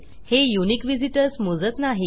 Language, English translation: Marathi, It wont count unique visitors